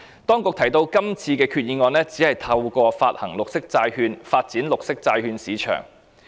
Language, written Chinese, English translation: Cantonese, 當局提到今次的決議案只是透過發行綠色債券，發展綠色債券市場。, The authorities have stated that the Resolution this time around only seeks to develop the green bond market by way of issuance of green bonds